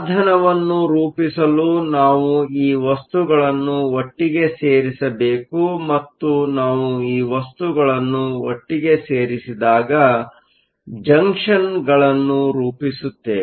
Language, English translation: Kannada, In order to form a device, we need to put materials together and when we put materials together, we will form Junctions